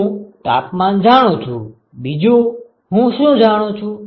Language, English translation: Gujarati, I know the temperatures what else do I know